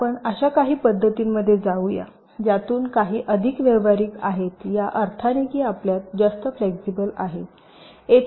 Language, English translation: Marathi, ok, now let us move into some methods which are little more practical in the sense that we have lot more flexibility here